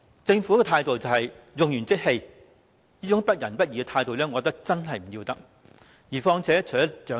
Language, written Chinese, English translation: Cantonese, 政府的態度可說是用完即棄，這種不仁不義的態度，我認為真的要不得。, The attitude of the Government has been one of regarding the elderly as disposable . I consider this lack of a sense of kindness and justice most undesirable